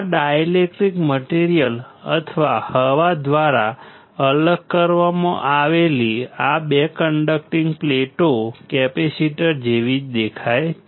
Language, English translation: Gujarati, 2 conducting plates separated by dielectric material or air, this is how we define the capacitor